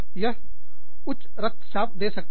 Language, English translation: Hindi, It could increase, my blood pressure